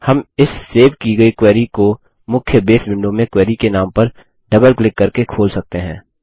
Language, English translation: Hindi, We can open this saved query by double clicking on the query name in the main Base window